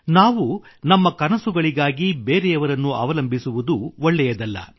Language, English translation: Kannada, It is not fair at all that we remain dependant on others for our dreams